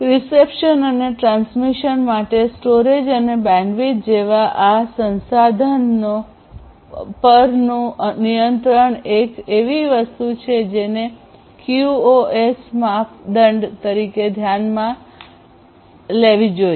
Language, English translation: Gujarati, The control over these resources such as storage, bandwidth etc for reception and transmission is something that has to be considered as a QoS criterion and this is quite fundamental